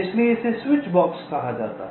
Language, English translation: Hindi, so this is called a switchbox